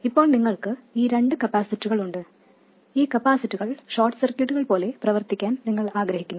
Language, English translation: Malayalam, Now we have these two capacitors and we know that we want these capacitors to behave like short circuits